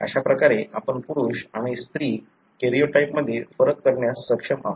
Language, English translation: Marathi, So, this is how you are able to distinguish the male and female karyotype